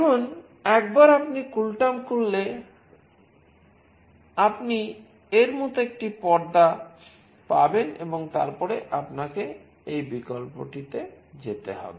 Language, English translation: Bengali, Now once you open the CoolTerm you will get a screen like this and then you have to go to this option